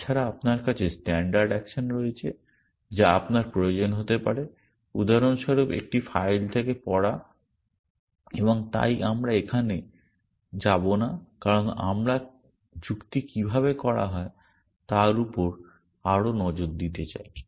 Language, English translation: Bengali, Apart from that you have standard actions that you may need for example, reading from a file and so on which we will not go into here because we want to focus more on how reasoning is done